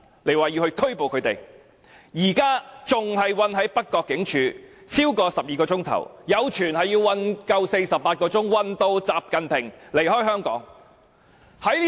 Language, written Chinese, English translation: Cantonese, 他們已經被囚禁在北角警署超過12小時，有傳他們會被囚禁48小時，直至習近平離開香港。, They have been detained in the North Point Police Station for more than 12 hours . Rumour has it that they will be detained for 48 hours until XI Jinping leaves Hong Kong